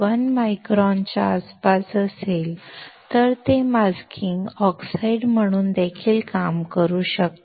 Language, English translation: Marathi, 1 micron, it can also work as a masking oxide